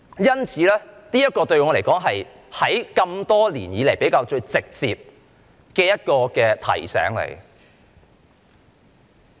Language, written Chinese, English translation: Cantonese, 因此，對我來說，這是多年來比較直接的一種提醒。, Therefore to me this has been a more direct reminder over the years